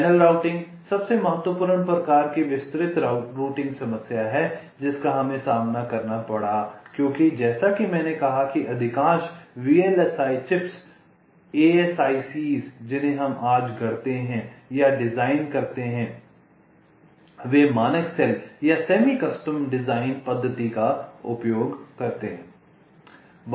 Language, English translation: Hindi, ok, channel routing is the most important kind of detailed routing problem that we encountered because, as i said, most of the chips that we fabricate or design today they use the standard cell or the semi custom design methodology